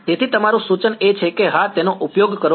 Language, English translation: Gujarati, So, your suggestion is to use yeah that is